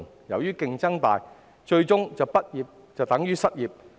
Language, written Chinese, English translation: Cantonese, 由於競爭大，最終畢業等於失業。, Due to keen competition graduation means unemployment for them